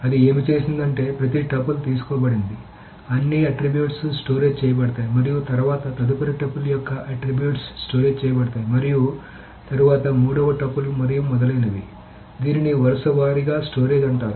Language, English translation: Telugu, So what it's done is that each tuple is taken, all its attributes are stored, and then the next tuples attributes are stored, and then the third tuples and so on so forth